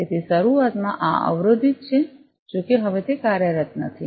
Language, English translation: Gujarati, So, this is block initially, although it is not being operated now